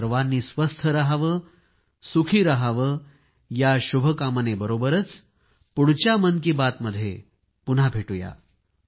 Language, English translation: Marathi, Stay healthy and stay happy, with these wishes, we will meet again in the next edition of Mann Ki Baat